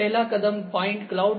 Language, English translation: Hindi, The first step is the point cloud